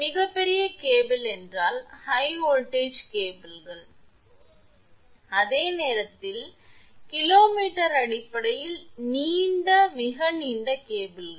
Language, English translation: Tamil, Very large cable means high voltage cables, at the same time, long, very long cables in terms of kilo meters